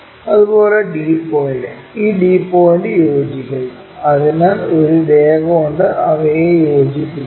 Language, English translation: Malayalam, Similarly, d point this one and this d point coincides, so join by line